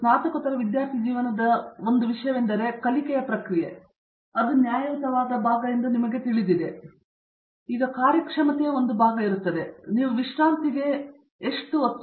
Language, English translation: Kannada, I think one of the things of in a post graduate study, life of a post graduate student is the fact that you know a fair part of your learning process, part of your performance is also got to do with how well you interact with a rest of your group, how well your interact with your advisor and so on